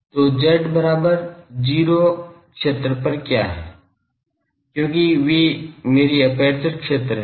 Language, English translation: Hindi, So, at z is equal to 0 what are the fields; because those are my aperture fields